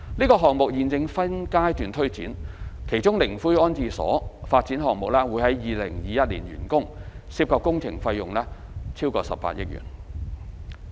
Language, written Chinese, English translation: Cantonese, 該項目現正分階段推展，其中靈灰安置所發展項目將於2021年完工，涉及工程費用超過18億元。, The project is being implemented in phases of which the columbarium development will be completed in 2021 involving a project cost of over 1.8 billion